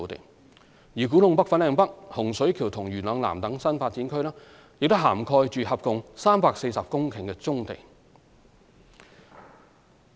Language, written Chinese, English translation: Cantonese, 至於古洞北/粉嶺北、洪水橋及元朗南等新發展區，亦涵蓋合共約340公頃的棕地。, As for such NDAs as KTNFLN HSK and Yuen Long South they also cover a total of about 340 hectares of brownfield sites